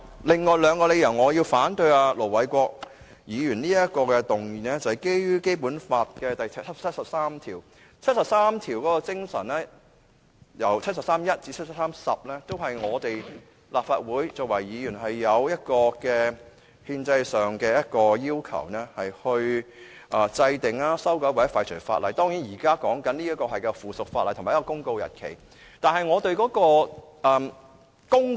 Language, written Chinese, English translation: Cantonese, 另外我反對盧偉國議員這項議案的理由是，基於《基本法》第七十三條第一至十項的精神，都與我們作為立法會議員制定、修改和廢除法律的憲制責任有關，而現在討論的，正是一項附屬法例的生效日期公告。, Another reason for opposing Ir Dr LO Wai - kwoks motion is that in line with the spirit of Article 731 to Article 7310 of the Basic Law we have the constitutional responsibilities as Legislative Council Members to enact amend and repeal laws . We are precisely discussing a notice on the commencement date of a subsidiary legislation